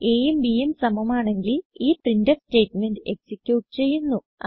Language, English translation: Malayalam, If the condition is true then this printf statement will be executed